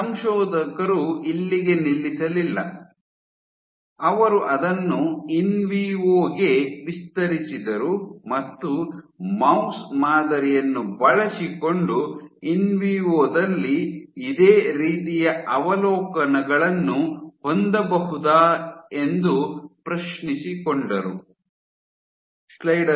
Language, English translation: Kannada, The authors did not stop here; they extended it to in vivo and ask that can they observed similar observations in vivo using a mouse model